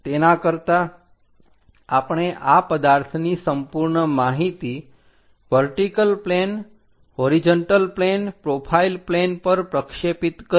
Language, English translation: Gujarati, Instead of that we project this entire object information on to vertical plane, on to horizontal plane, on to profile plane